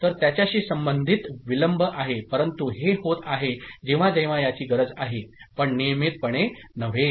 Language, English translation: Marathi, So, there is a delay associated with it, but your, it is happening whenever it is required not you know regularly